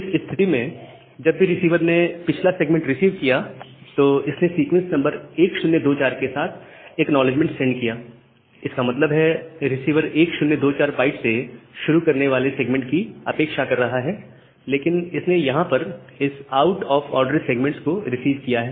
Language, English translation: Hindi, Now, at this case, whenever it has received this previous segment, it has sent an acknowledgement with sequence number as 1024; that means, the receiver is expecting and segment starting from byte 1024, but it has received this out of order segment